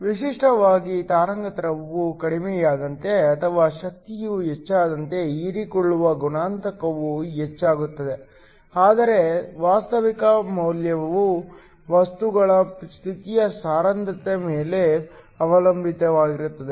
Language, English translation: Kannada, Typically, the absorption coefficient increases as the wave length goes down or the energy increases, but the actual value depends upon the density of states of the material